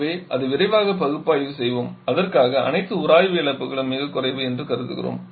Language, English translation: Tamil, So, let us analyse it quickly but for that we are assuming all the fictional losses to be negligible